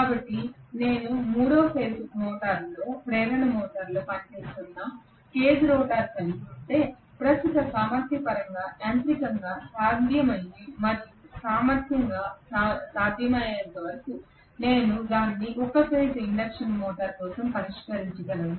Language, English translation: Telugu, So if I have a cage rotor which is working in 3 phase induction motor I can always fix it for a single phase induction motor as long as it is mechanically feasible and electrically feasible in terms of the current capacity